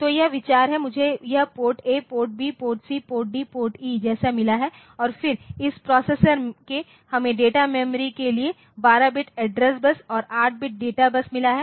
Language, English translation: Hindi, So, this is the idea so, I have got this PORT A, POPRT B, PORT C, PORT D, PORT E like that and then this from the processor we have got for the data memory 12 bit address bus and 8 bit data bus